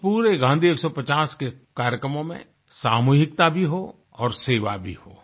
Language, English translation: Hindi, In all the programmes of Gandhi 150, let there be a sense of collectiveness, let there be a spirit of service